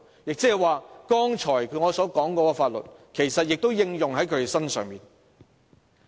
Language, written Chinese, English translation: Cantonese, "意思是剛才我所說的法律也適用於他們。, This indicates that the law I referred to just now is also applicable to them